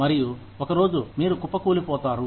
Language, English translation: Telugu, And, one day, you just crash